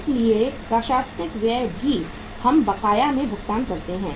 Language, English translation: Hindi, So administrative expenses we also pay in arrears